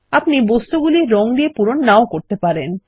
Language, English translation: Bengali, You can also choose not to fill the object with colors